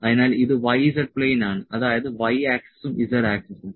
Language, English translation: Malayalam, So, this is y z plane y z plane that is y axis and z axis